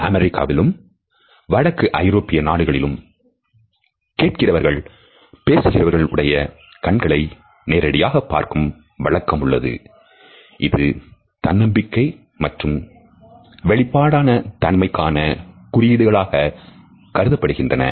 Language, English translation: Tamil, Where is in the US and in northern Europe, listeners are encouraged to look directly into the eyes of the speaker because this direct eye contact is considered to be a sign of confidence and openness